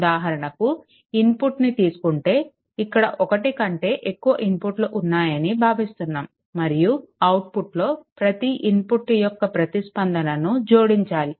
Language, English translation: Telugu, Suppose input you have your input you have what you call more than one input is there and then output you are getting a response, by adding all this input